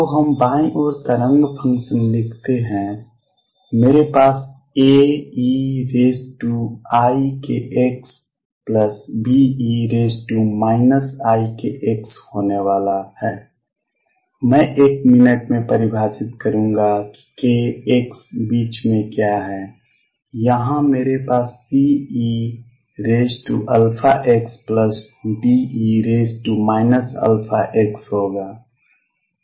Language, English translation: Hindi, So, let us write the wave functions on the left I am going to have a e raise to i k x plus B e raise to minus i k x i will define in a minute what k x are in the middle here I am going to have c e raise to alpha x plus D e raise to minus alpha x